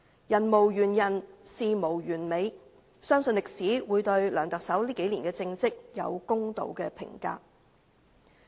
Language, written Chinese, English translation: Cantonese, 人無完人，事無完美，相信歷史會對梁特首這數年的政績有公道的評價。, No one is perfect . Nothing is perfect . I believe history will give a fair evaluation of Chief Executive LEUNG Chun - yings political achievements in these few years